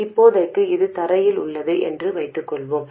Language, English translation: Tamil, For now, let's assume it is at ground